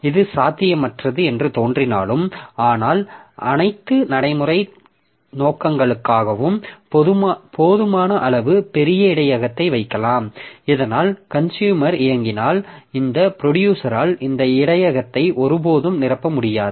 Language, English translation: Tamil, So, though it appears to be impossible, but for all practical purposes, so we can put a sufficiently large buffer so that this producer will never be able to fill up this buffer if the consumer is also running